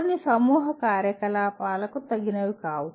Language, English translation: Telugu, Some are not suitable for group activity